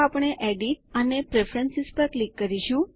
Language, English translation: Gujarati, So we will click on Edit and Preferences